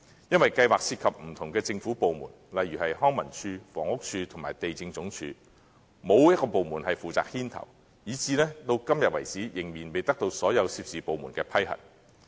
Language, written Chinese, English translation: Cantonese, 由於計劃涉及不同的政府部門，例如康樂及文化事務署、房屋署和地政總署，但又沒有一個部門負責牽頭，至今仍然未得到所有有關部門的批核。, Nevertheless since the plan involves different government departments such as the Leisure and Cultural Services Department the Housing Department and the Lands Department with no government department being responsible for taking the lead though the plan has yet to be vetted and approved by all the departments concerned